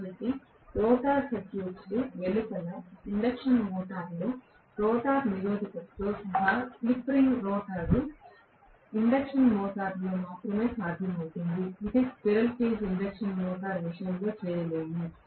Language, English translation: Telugu, So, including a rotor resistance in the induction motor external to the rotor circuit is possible only in slip ring rotor induction motor, it cannot be done in the case of a squirrel cage induction motor